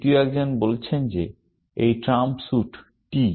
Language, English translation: Bengali, The third one says that the trump suit is t